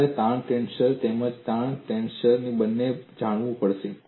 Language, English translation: Gujarati, You have to know both this stress tensor as well as the strain tensor